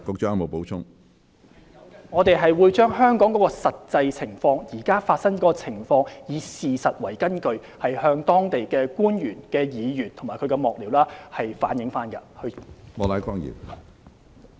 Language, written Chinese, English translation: Cantonese, 主席，我們會將香港現時的實際情況，以事實為根據向當地官員、議員及其幕僚反映。, President we will convey the actual situation currently in Hong Kong to local officials members of parliament and their staffers on the basis of facts